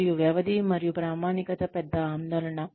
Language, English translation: Telugu, And, the duration and the validity is a big concern